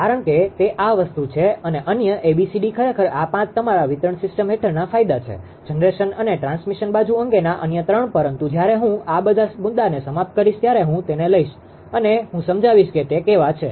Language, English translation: Gujarati, Because it will that is the thing right and another this these A, B, C, D the actually this five your what you call ah advantages for under distribution system; other three regarding the generation and transmission site but when I will come to the end all this point I will take and I will explain how is it right